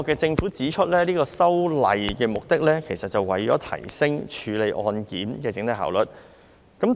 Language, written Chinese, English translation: Cantonese, 政府指出，這次修訂的目的是為提升處理案件的整體效率。, According to the Government the amendments are meant to increase the overall efficiency of case handling